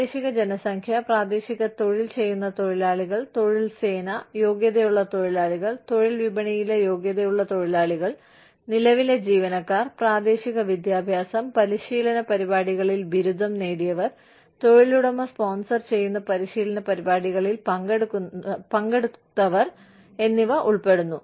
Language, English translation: Malayalam, That include, local population, local employed workers, labor force, qualified workers, qualified workers in the labor market, current employees, graduates of local education and training programs, and participants in training programs, sponsored by the employer